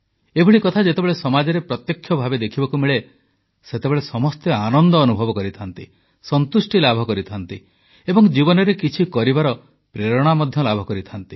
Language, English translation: Odia, And when such things are witnessed firsthand in the society, then everyone gets elated, derives satisfaction and is infused with motivation to do something in life